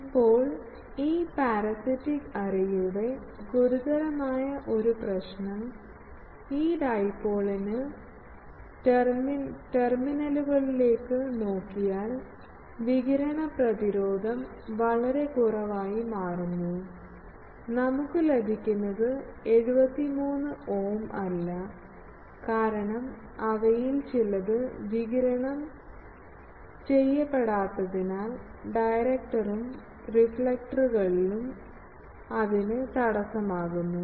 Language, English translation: Malayalam, Now, the serious problem of a this parasitic array is, that the radiation resistance if we look at this dipoles terminals, the driven dipoles terminal that becomes quite less, it is not the 73 ohm that we get for a dipole; that is because some of this energies they are not radiated, they are getting obstructed by this directors and reflectors etc